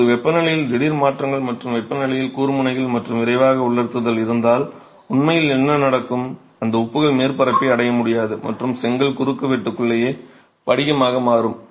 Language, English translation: Tamil, Now if there is sudden changes in temperature and spikes in temperature and there is rapid drying, what will actually happen is those salts may not be able to reach the surface and will crystallize inside the brick cross section itself